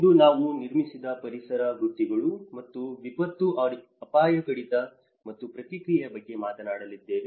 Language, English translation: Kannada, Today, we are going to talk about the built environment professions and disaster risk reduction and response